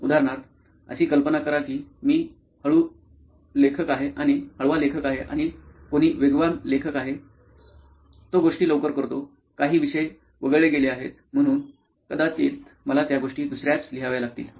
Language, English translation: Marathi, For example imagine I am a slow writer and someone is a fast writer, he completes the things fast, I might skip out some topics, right, so I might need to write those things second